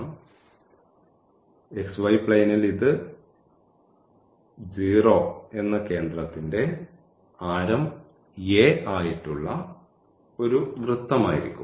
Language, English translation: Malayalam, So, in the xy plane this will be a circle of radius a center at 0